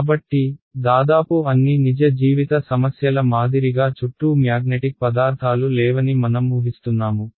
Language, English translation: Telugu, So, we are assuming that as with almost all real life problems the there are no magnetic materials around ok